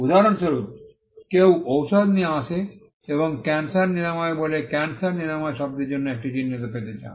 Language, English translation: Bengali, For instance, somebody comes up with a medicine and calls it cancer cure and wants to get a mark for the word cancer cure